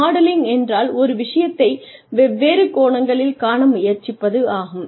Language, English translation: Tamil, So, modelling means, trying to see things from different perspectives